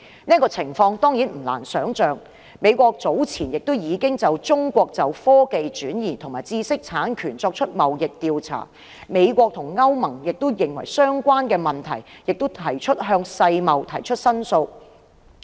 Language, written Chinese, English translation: Cantonese, 這情況當然不難想象，美國早前已就中國就科技轉移及知識產權作出貿易調查，美國及歐盟均就相關問題向世貿提出申訴。, This situation is not difficult to imagine . The United States has already conducted an investigation on Chinas transfer of technologies and intellectual property . The United States and the European Union have also lodged complaints with WTO concerning these issues